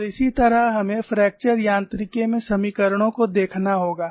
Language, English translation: Hindi, And that is how we will have look at the equations in fracture mechanics